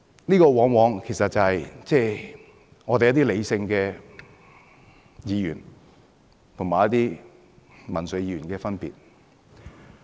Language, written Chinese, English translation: Cantonese, 這往往便是理性的議員和民粹議員的分別。, This is invariably the difference between a rational Member and a populist Member